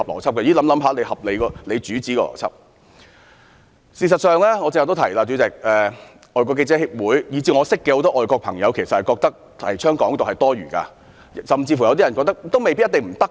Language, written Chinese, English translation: Cantonese, 代理主席，事實上，正如我剛才提到，外國記者會以至眾多外國人士均認為提倡"港獨"是多餘的，甚至有人認為一定不可行。, Deputy President as I stated just now FCC and many foreigners actually consider that the advocacy of Hong Kong independence is uncalled - for; some of them even think that Hong Kong independence is doomed to failure